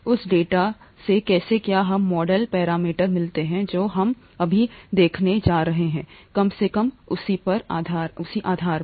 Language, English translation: Hindi, From that data, how do we get the model parameters, is what we are going to look at now, at least a basis of that